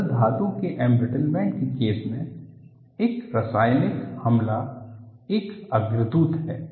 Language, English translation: Hindi, In the case of liquid metal embrittlement, a chemical attack is a precursor